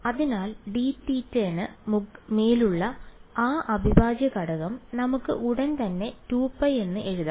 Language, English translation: Malayalam, So, that integral over d theta we can immediately write as 2 pi right